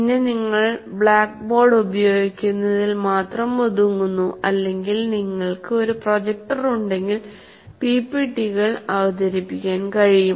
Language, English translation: Malayalam, Then you are confined to using only the blackboard or if you have a projector only to present the PPPTs